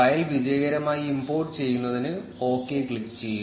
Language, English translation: Malayalam, Click on ok to successfully import the file